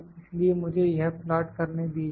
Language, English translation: Hindi, So, let me try to plot this